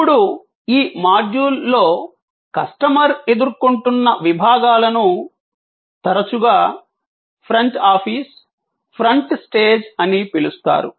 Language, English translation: Telugu, Now, these customer facing departments are often called in this module, the front office, the front stage